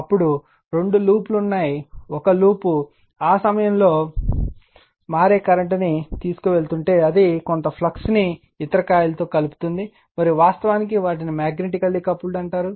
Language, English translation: Telugu, Then two loops are there, if one loop is carrying that your what you call that time varying current, and another loop that some flux will be it will links some flux to the other coil right, and they are said to be actually magnetically coupled